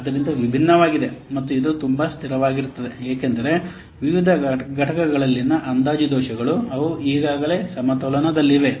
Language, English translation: Kannada, So different, it is very much stable because the estimation errors in the various components, they are already balanced